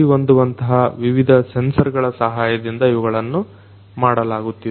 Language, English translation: Kannada, These are being done with the help of different appropriate sensors